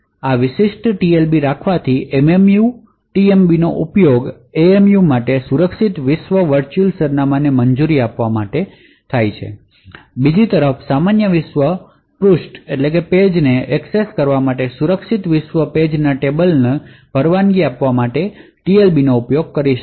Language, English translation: Gujarati, By having this particular TLB The MMU would be able to use the TLB to allow secure world virtual address for MMU would be able to use the TLB to permit a secure world page tables to access normal world page on the other hand it can also prevent a normal world page table from accessing a secure world page